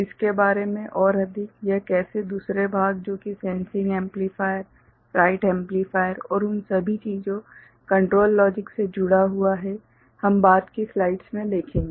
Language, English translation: Hindi, More of it how it gets connected to the other part that is sensing amplifier, write amplifier and all those things, control logic we shall see in subsequent slides